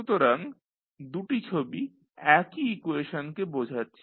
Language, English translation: Bengali, So, both figures are representing the same equation